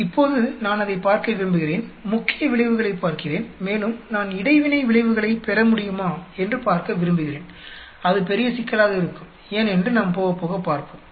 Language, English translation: Tamil, Now, I want to look at it, look at the main effects and see whether I can even get interaction effects ,that is going to be big problematic, we will see why, as we go along